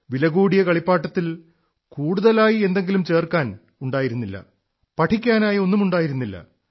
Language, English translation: Malayalam, In that expensive toy, there was nothing to create; nor was there anything to learn